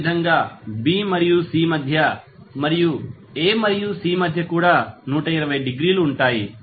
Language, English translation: Telugu, Similarly, between B and C and between A and C will be also 120 degree